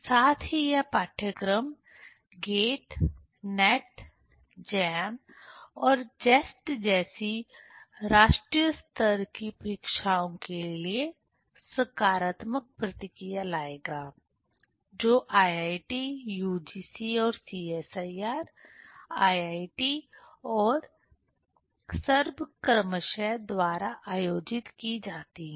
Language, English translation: Hindi, Also this course will have positive feedback for national level examinations like GATE, NET, JAM and JEST conducted by IIT, UGC & CSIR, IIT and SERB, respectively